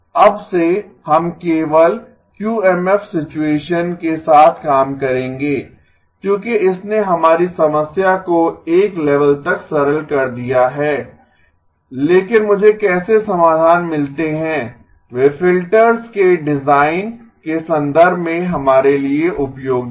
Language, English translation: Hindi, From now on, we will work only with QMF situation because that has simplified our problem to one level but how do I get the solutions that are useful for us in terms of the design of the filters